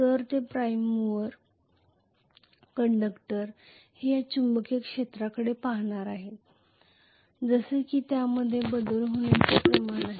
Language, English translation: Marathi, So the prime mover conductors they are going to look at this magnetic field as though it is having the rate of change